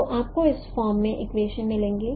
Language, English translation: Hindi, So you will get the equations in this form